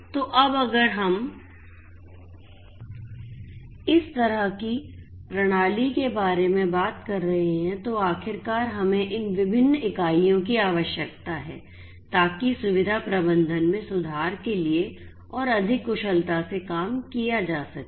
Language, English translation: Hindi, So, now, if we are talking about this kind of system ultimately we need to have these different units, these different actors, work much more efficiently in order to have improved facility management